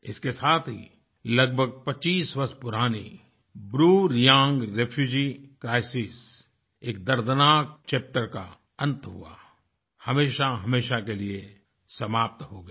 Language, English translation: Hindi, With it, the closeto25yearold BruReang refugee crisis, a painful chapter, was put to an end forever and ever